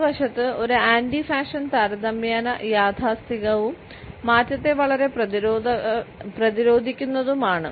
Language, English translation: Malayalam, On the other hand, an anti fashion is relatively conservative and is very resistant to change